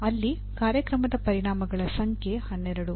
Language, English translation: Kannada, There the number of program outcomes are 12